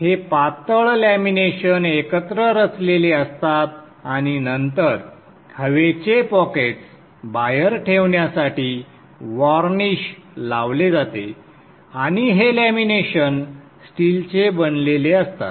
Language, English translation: Marathi, These are thin laminations stacked together and then varnish is applied to keep the air pockets out and these laminations are made of steel